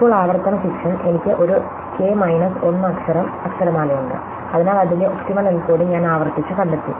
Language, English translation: Malayalam, Now, recursion kicks in, I have a k minus 1 letter alphabet, so I have recursively find and optimal encoding of that